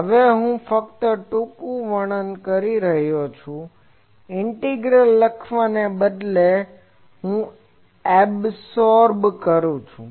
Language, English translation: Gujarati, This is just a shorthand that instead of writing that integral I am absorbing that integral